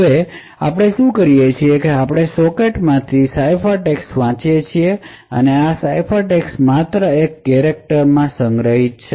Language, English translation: Gujarati, Now what we do is we read the ciphertext from that socket and this ciphertext is stored is just a character which is stored in ct